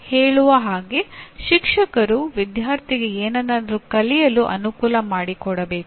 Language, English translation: Kannada, Like sometimes saying the teacher should like facilitate the student to learn something